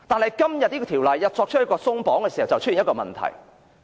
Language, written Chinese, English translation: Cantonese, 然而，《條例草案》作出鬆綁，便引起一個問題。, But the Bill seeks to relax this restriction and this will lead to one problem